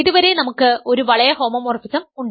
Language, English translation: Malayalam, So, far we have a ring homomorphism